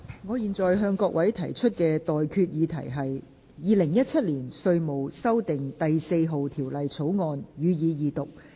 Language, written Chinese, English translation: Cantonese, 我現在向各位提出的待決議題是：《2017年稅務條例草案》，予以二讀。, I now put the question to you and that is That the Inland Revenue Amendment No . 4 Bill 2017 be read the Second time